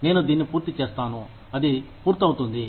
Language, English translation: Telugu, I will get this done, that done